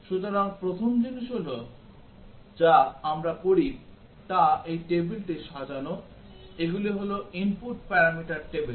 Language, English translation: Bengali, So, the first thing we do is arrange this table, these are the input parameter table